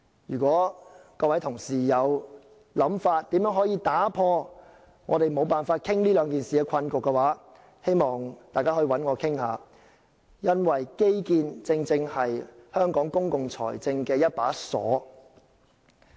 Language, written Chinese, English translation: Cantonese, 如果各位同事對如何打破我們無法討論這兩項議題的困局有任何想法，可以找我談談，因為基建正是香港公共財政的一把鎖。, If Members have any idea on how to break the stalemate concerning our inability to discuss the two matters they may talk to me for infrastructure is a lock affecting Hong Kongs public finance